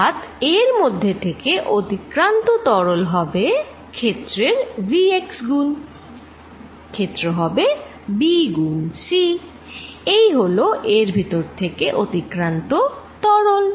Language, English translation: Bengali, So, fluid passing through this is going to be v x times the area, area is going to be b times c, this is a fluid passing through it